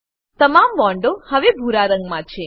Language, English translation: Gujarati, All the bonds are now blue in color